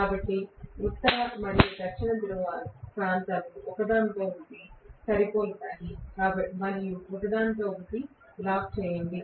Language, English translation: Telugu, So that north and south match with each other and lock up with each other